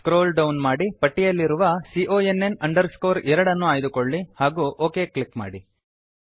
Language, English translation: Kannada, Scroll down and choose CONN 2 from the list and click on OK